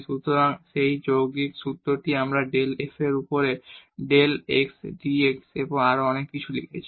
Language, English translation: Bengali, So, that composite formula we have written del f over del x dx over dt and so on